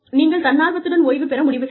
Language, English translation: Tamil, You may decide, to take voluntary retirement